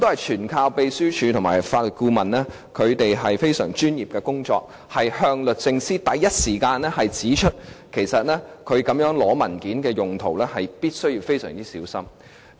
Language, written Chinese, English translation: Cantonese, 全賴秘書處和法律顧問非常專業的工作，馬上向律政司指出其實索取文件作這樣的用途，必須非常小心。, The Secretariat and the Legal Adviser were highly professional as to immediately highlight to DoJ that it has to be very careful when soliciting documents for such purpose